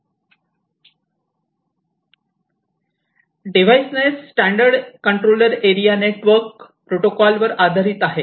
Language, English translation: Marathi, So, Device Net is based on the standard controller area network protocols, CAN protocol